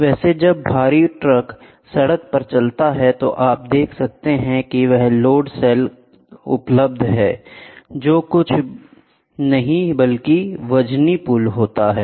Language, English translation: Hindi, By the way, where the heavy trucks when it moves on the road, you can see there are load cells available which are nothing but weighing bridges